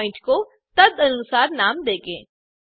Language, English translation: Hindi, We would like to name the point accordingly